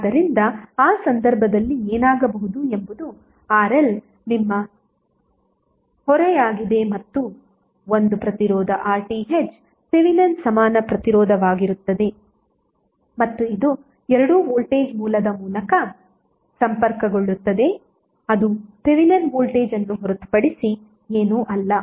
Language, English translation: Kannada, So what will happen in that case the circuit RL this would be your load and there will be one resistance RTh would be the Thevenin equivalent resistance and it would both would be connected through voltage source which is nothing but Thevenin Voltage